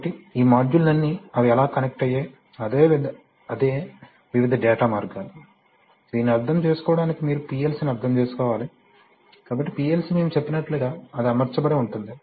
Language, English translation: Telugu, So all these modules how they are connected, that is what are the various data paths, to understand this you have to understand that the PLC, I am sorry, this, so the PLC is, as we say, we have said that is, that it is rack mounted right